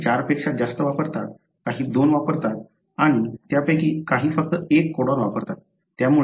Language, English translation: Marathi, Some use more than 4, some use two and a few of them use for example only 1 codon